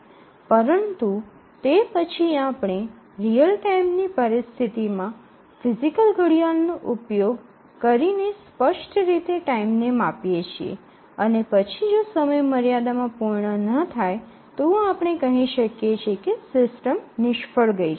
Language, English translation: Gujarati, But then here we measure the time explicitly using a physical clock in a real time situation and then if the time bounds are not met, we say that the system has failed